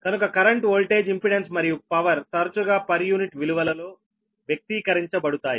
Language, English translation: Telugu, so power system, such as current voltage, impedance or power, are often expressed in per unit values, right